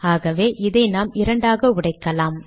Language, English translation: Tamil, So let us break it into two